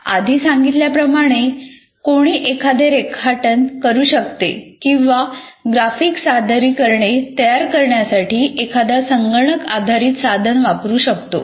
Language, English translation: Marathi, As I said, one can sketch or one can use a computer based tool to create your graphic representations